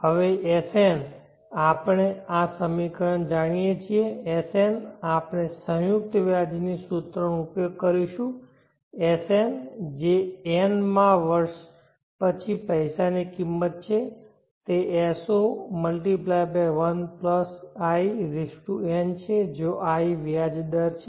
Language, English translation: Gujarati, Now Sn we know this equation Sn we will use the compound interest formula Sn that is the value of the money after the nth year is S0(1+In) where I is the rate of interest